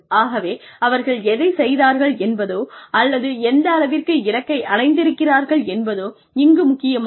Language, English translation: Tamil, So, it does not matter, what they have done, or, how much they have achieved